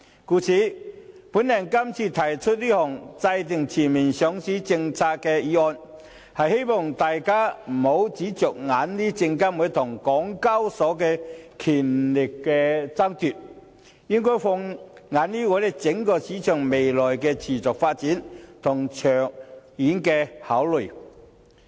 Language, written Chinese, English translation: Cantonese, 故此，我今次提出這項制訂全面上市政策的議案，希望大家不要只着眼證監會與港交所的權力爭奪，應要放眼整體市場未來的持續發展，以及長遠考慮。, Therefore I now propose this motion on formulating a comprehensive listing policy hoping that rather than focusing solely on the power struggle between SFC and SEHK people can also pay attention to the sustainable development of the whole market in the future and other long - term considerations